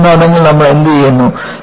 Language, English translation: Malayalam, And, what you do in yield theories